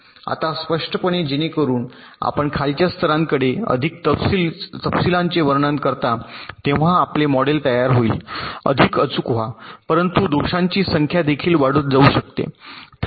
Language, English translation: Marathi, now clearly, so as you go towards the lower levels, more detail description, your model will become more accurate, but the number of faults can also go on increasing